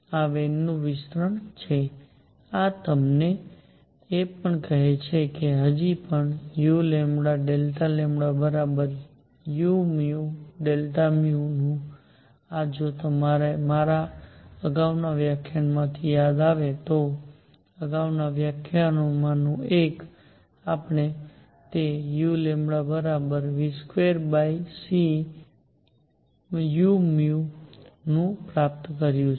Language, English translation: Gujarati, This is Wien's distribution, this also tells you that since u lambda delta lambda be equated to u nu delta nu and if you recall from my previous lecture, one of the previous lectures, we have obtained that u lambda was nu square over c u nu